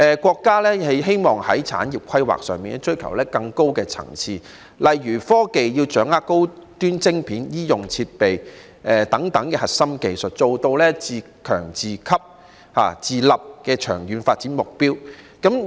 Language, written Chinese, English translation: Cantonese, 國家在產業規劃上追求更高層次，例如，科技產業要掌握高端晶片、醫用設備等核心技術，達致自強、自給、自立的長遠發展目標。, The country seeks to escalate industrial planning to a higher level eg . the technology industry must master high - end chips and core technologies such as medical equipment would have to achieve the long - term development objectives of self - reliance self - sufficiency and independence